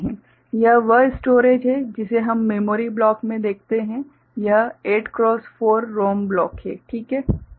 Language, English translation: Hindi, This is the storage that we’ll see in the memory block right; this 8 cross 4 ROM block right